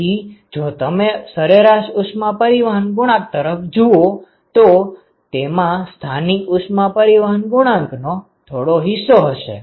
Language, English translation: Gujarati, So, if you look at the average heat transport coefficient that will be some fraction of the local heat transport coefficient